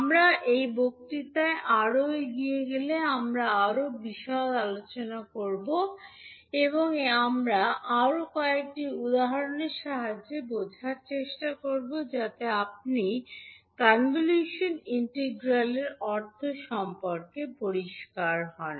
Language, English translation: Bengali, So we will discuss more in detail when we will proceed more in this particular lecture and we will try to understand with help of few more examples so that you are clear about the meaning of convolution integral